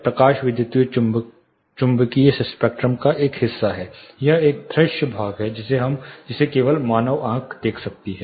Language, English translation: Hindi, Light is a part of electromagnetic spectrum, it is a visible portion this is the only thing human eye can see